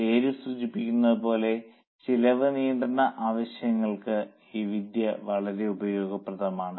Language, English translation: Malayalam, As the name suggests, this technique is very much useful for cost control purposes